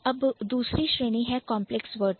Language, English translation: Hindi, Then there is the second category which is the complex word